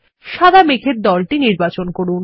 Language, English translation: Bengali, Select the white cloud group